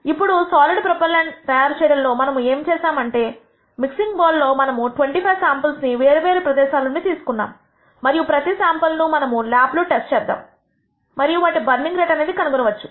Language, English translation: Telugu, Now, what we have done in the from the mixing bowl where we are making the solid propellant, we have taken 25 samples from different locations in the mixing bowl and each of these samples we test in the lab and nd that what their burning rate is